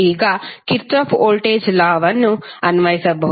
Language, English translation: Kannada, You can apply Kirchhoff voltage law